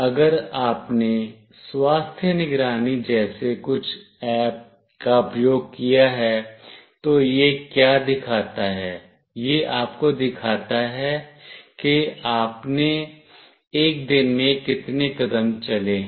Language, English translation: Hindi, If you have used some kind of apps like health monitoring, what it shows, it shows you that how many steps you have walked in a day